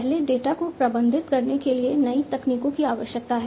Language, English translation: Hindi, It needs new technologies to manage first data